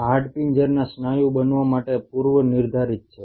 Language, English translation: Gujarati, These are predestined to become skeletal muscle